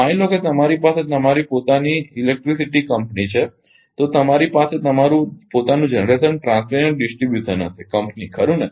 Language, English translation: Gujarati, Suppose you have your own electricity company then you have your own generation transmission and distribution company right